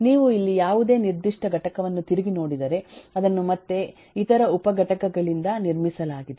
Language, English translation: Kannada, if you look into any specific component here, that again is built up by other subcomponents